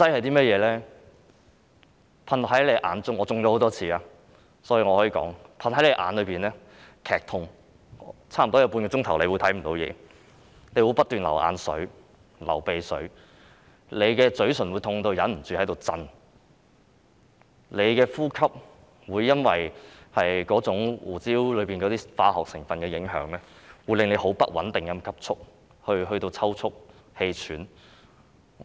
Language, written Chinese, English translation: Cantonese, 當噴到眼睛，會感到劇痛，差不多有半小時會看不到東西，不斷流眼水、流鼻水，嘴唇會痛得忍不住顫抖，呼吸會因為胡椒噴劑中的化學成分而受影響，變得不穩定，甚至抽促、氣喘。, People can hardly see anything for nearly half an hour with tears and runny nose . Due to the pain the lips cannot stop trembling . The chemicals in the pepper spray will affect breathing causing irregular breathing and even twitching and shortness of breath